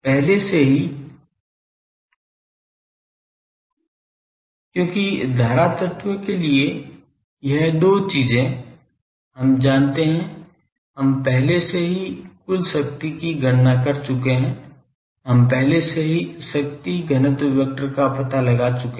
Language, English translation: Hindi, Already because for current element , this two things , we know we have already calculated the total power radiated we have already found out the power density vector